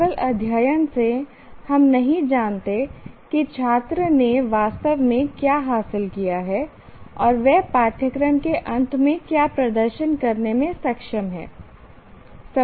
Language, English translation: Hindi, Merely studying is we don't know what exactly the student has achieved and what he is capable of demonstrating at the end of the course is nothing